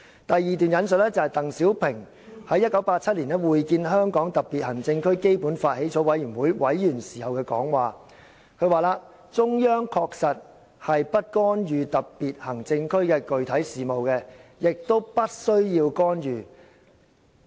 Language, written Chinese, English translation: Cantonese, "第二段引述是鄧小平在1987年會見香港特別行政區基本法起草委員會委員時的講話："中央確實是不干預特別行政區的具體事務的，也不需要干預。, The second remark I wish to quote was the one made by DENG Xiaoping during his meeting with members of the Basic Law Drafting Committee of HKSAR in 1987 The Central Authorities will definitely not meddle in the specific affairs of SAR . Neither will there be any need to do so